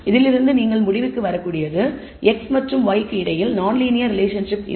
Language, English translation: Tamil, All you can conclude from this is perhaps there is no linear relationship between x and y